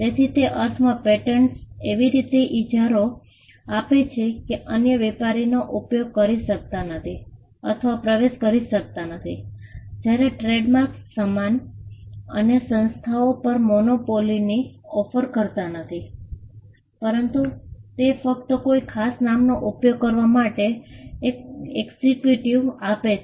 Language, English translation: Gujarati, So, patents in that sense offer a monopoly in such a way that, others cannot use or enter the trade whereas, trademarks do not offer a monopoly on the goods or services rather it only gives an exclusivity in using a particular name